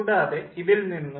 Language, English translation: Malayalam, so that is also known